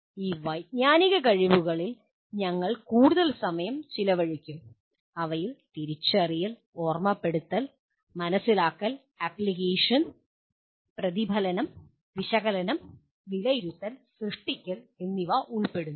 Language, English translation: Malayalam, We will be spending more time on this cognitive abilities and these include recognition, recollection, understanding, application, reflection, analysis, evaluation and creation